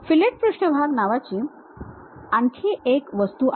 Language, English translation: Marathi, There is one more object named fillet surface